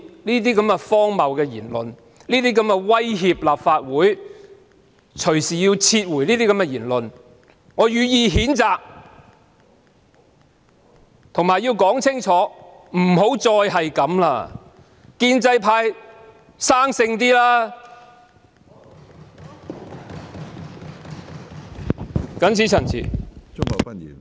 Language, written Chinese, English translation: Cantonese, 對於那些荒謬、威脅立法會要隨意撤回《條例草案》的言論，我予以譴責，我亦要清楚奉勸一句，請建制派不要再這樣做，請他們"生性"些。, I denounce the preposterous remarks threatening to arbitrarily withdraw the Bill from the Legislative Council . I would also like to tender the pro - establishment camp a piece of advice Please refrain from doing the same thing again and please grow up a bit